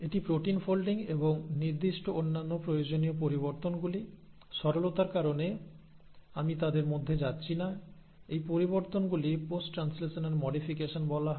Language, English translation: Bengali, So this is, this protein folding and specific other required modifications, I am not going into them because of simplicity; these modifications are what are called as post translational modifications